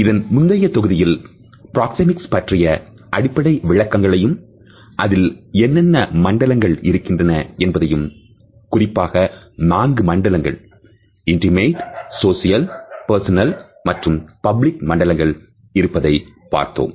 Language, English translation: Tamil, In the previous module we had discussed the basic definitions of Proxemics, what are the different zones namely the four zones of intimate social, personal and public distances